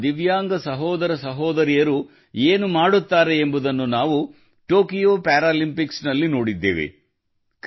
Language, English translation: Kannada, At the Tokyo Paralympics we have seen what our Divyang brothers and sisters can achieve